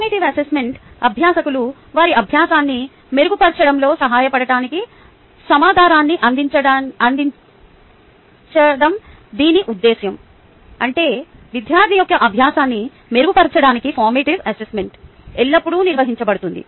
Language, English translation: Telugu, formative assessment: the purpose is to provide information to learners to help them improve their learning, which means formative assessment is always conducted to improve the learning of the student